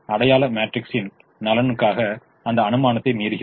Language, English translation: Tamil, we are violating that assumption in the interests of the identity matrix